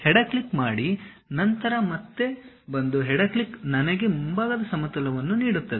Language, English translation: Kannada, Click, left click, then again one more left click gives me front plane